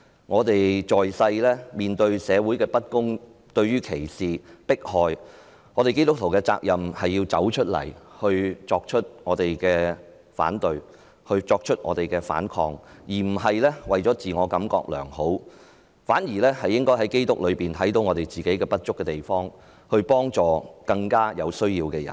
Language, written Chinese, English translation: Cantonese, 我們在世面對社會的不公，對於歧視和迫害，基督徒的責任是要走出來作出反對和反抗，而不是為了自我感覺良好，我們應在基督內看到自己不足的地方，幫助更有需要的人。, In our life on earth a Christian has the responsibility to stand out and oppose or fight against injustice discrimination and oppression in society . We do it not for self - satisfaction . We see our own inadequacies in Christ and we offer help to people in greater needs